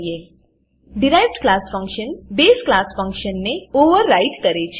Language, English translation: Gujarati, The derived class function overrides the base class function